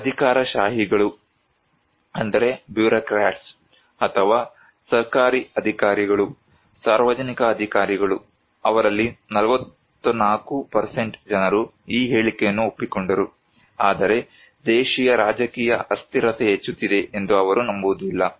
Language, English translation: Kannada, Whereas the bureaucrats or the government officials, public officials, 44% of them agreed with this statement, they do not believe domestic political instability is increasing